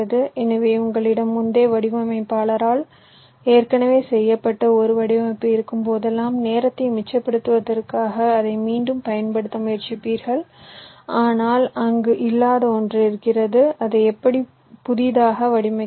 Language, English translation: Tamil, so whenever you have a design which was already done by some earlier designer, you will always try to reuse it in order to safe time, ok, but there are something which was not there, to will have to design it from scratch anyway